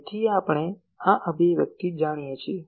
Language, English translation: Gujarati, So, we know this expression